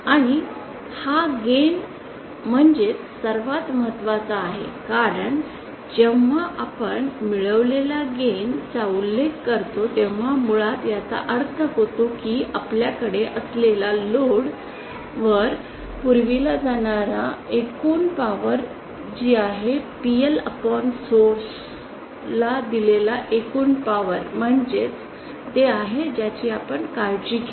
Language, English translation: Marathi, And this is the gain actually that matters the most because see gain when we when we mention the term gain it basically means what is the total power delivered to the load which is PL upon the total power that can be supplied to the source that is what we care for